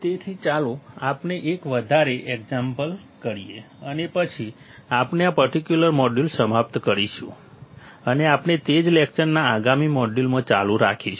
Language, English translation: Gujarati, So, let us do one more example and then, we will finish this particular module and we continue in a next module of the same lecture